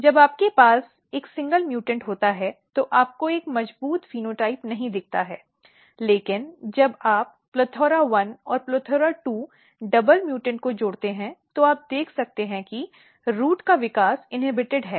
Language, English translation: Hindi, So, when you have a single mutants, you do not see a very strong phenotype, but when you combine plethora1 and plethora2 double mutant, you can see that root growth is inhibited